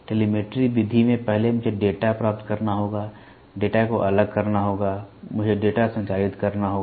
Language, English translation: Hindi, In telemetry method, first I have to acquire the data, discretize the data, I have to transmit the data